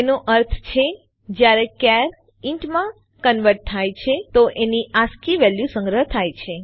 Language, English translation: Gujarati, It means when a char is converted to int, its ascii value is stored